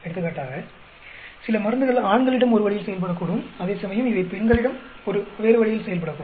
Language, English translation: Tamil, For example, some drug may work in one way on male population, whereas it may work in a different way on female population